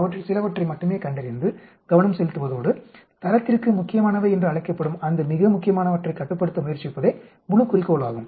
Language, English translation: Tamil, The whole goal is to identify only those few of them and focus and try to control them that is very important that is called critical to quality